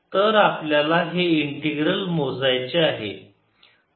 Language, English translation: Marathi, so we have to calculate this integral